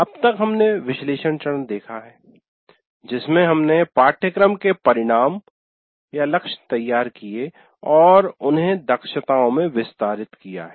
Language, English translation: Hindi, And in that we have till now seen the analysis phase in which we created the course outcomes and also elaborated them into competencies